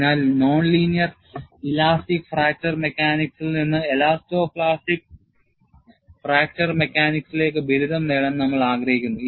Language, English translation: Malayalam, So, we want to graduate from non linear elastic fracture mechanics to elasto plastic fracture mechanics